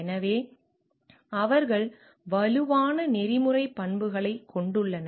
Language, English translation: Tamil, So, they have strong ethical character